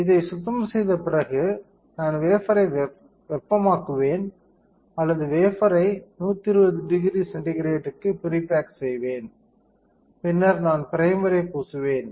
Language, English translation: Tamil, After a free cleaning I will heat the wafer or pre bake the wafer at 120 degree centigrade and then I will coat primer